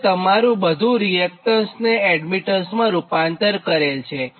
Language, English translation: Gujarati, and all this, all this your reactance thing has been converted to admittance